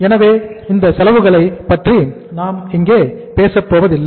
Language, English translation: Tamil, So we will not talk about those cost here